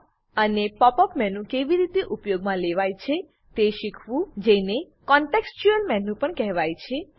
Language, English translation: Gujarati, * and learn how to use the Pop up menu also known as contextual menu